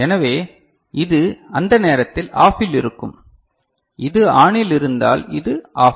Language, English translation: Tamil, So, this will be OFF at that time, if it is ON this is OFF ok